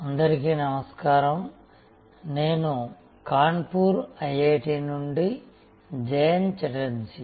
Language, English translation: Telugu, Hello, this is Jayanta Chatterjee from IIT, Kanpur